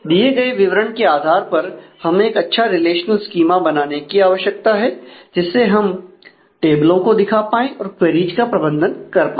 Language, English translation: Hindi, So, this is the this is the given specification based on this we will need to make a good relational schema to represent the tables and manage the queries